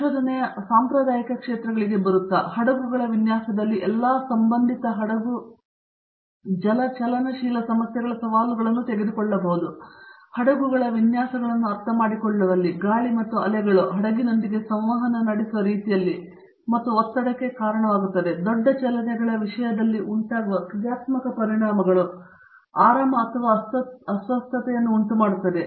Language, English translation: Kannada, Coming to the traditional areas of research, we can take up the challenges of all associated ship hydro dynamic problems in designing ships, in understanding the structures of ships, in the way the wind and waves interact with the ship and therefore, give rise to stresses, give rise to comfort or discomfort in terms of large motions, the dynamic effects that occur